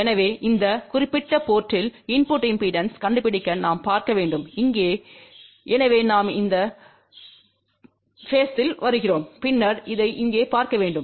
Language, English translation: Tamil, So, to find the input impedance at this particular port we have to look from here, so then we come at this point and then we have to look at this here